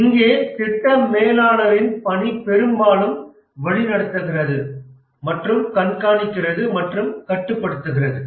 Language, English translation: Tamil, And here the work of the project manager is largely directing and monitoring and control